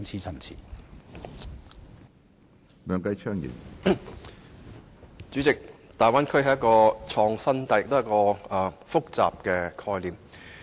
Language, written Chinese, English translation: Cantonese, 主席，大灣區是一種既創新又複雜的概念。, President the Guangdong - Hong Kong - Macao Bay Area is an innovative yet complex conception